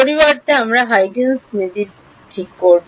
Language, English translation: Bengali, Instead we will do Huygens principle ok